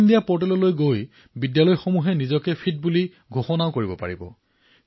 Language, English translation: Assamese, The Schools can declare themselves as Fit by visiting the Fit India portal